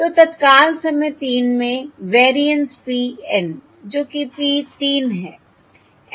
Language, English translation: Hindi, So the variance PN at time three, that is P of three